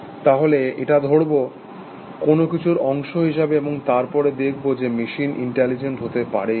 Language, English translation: Bengali, So, will take this, as part of thing, and then we will see, whether machines can be intelligent